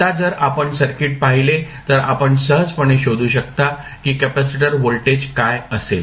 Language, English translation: Marathi, Now, if you see the circuit you can easily find out what would be the voltage across capacitor